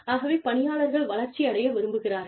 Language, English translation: Tamil, So, employees like to grow